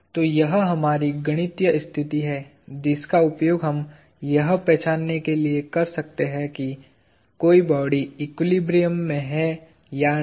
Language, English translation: Hindi, So, this is our mathematical condition that we can use to identify whether a body is in equilibrium